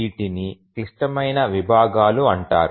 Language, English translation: Telugu, So these are called as the critical sections